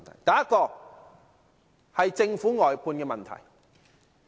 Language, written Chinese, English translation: Cantonese, 第一，是政府的外判問題。, Firstly it is the outsourcing problem of the Government